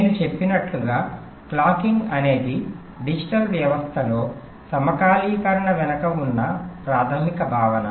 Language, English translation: Telugu, ok, so, as i said, clocking is the basic concept behind synchronization in digital system